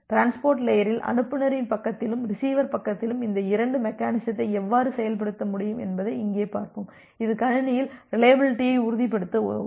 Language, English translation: Tamil, And here we will see that in the transport layer, how can you implement this two mechanism at the sender side, and at the receiver side which will help you to ensure reliability in the system